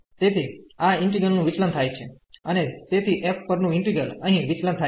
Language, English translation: Gujarati, So, this integral will diverge and so the integral over f will also diverge, which is given here in the problem